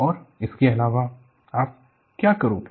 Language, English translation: Hindi, And in addition what do you do